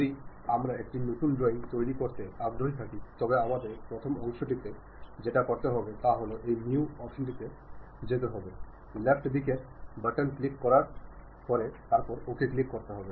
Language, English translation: Bengali, If we are interested in constructing a new drawing, the first part what we have to do is go to this new option, click means left button click, part by clicking that, then OK